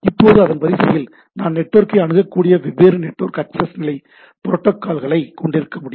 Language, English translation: Tamil, Now down the line I can have different network access level protocol by which the network is accessed